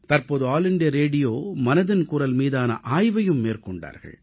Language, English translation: Tamil, Recently, All India Radio got a survey done on 'Mann Ki Baat'